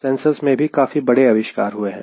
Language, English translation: Hindi, there is huge development in sensors